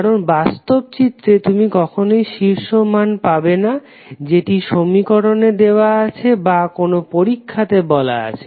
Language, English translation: Bengali, Because in real scenario you will never get peak values as given in the equation or as defined in some experiment